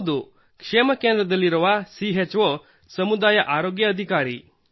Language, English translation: Kannada, Yes, the CHO who lives in the Wellness Center, Community Health Officer